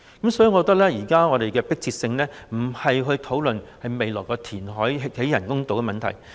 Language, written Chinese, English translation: Cantonese, 因此，我認為現在最迫切的，不是討論未來填海興建人工島的問題。, Therefore I think the most urgent thing to do now is not to discuss the reclamation of an artificial island for the future